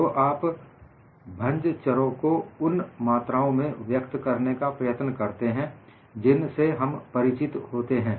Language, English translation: Hindi, So, you would like to express the fracture parameter in terms of the quantities that we are accustomed to